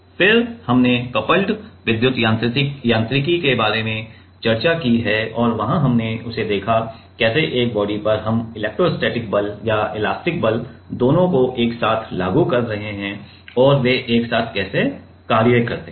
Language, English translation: Hindi, Then, we have also then we have discussed about coupled electro mechanics and there we will have seen that; how on a body we are applying both the electrostatic force and elastic force are applied together and how they act together